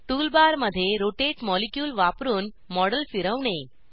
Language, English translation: Marathi, * Rotate the model using the rotate molecule in the tool bar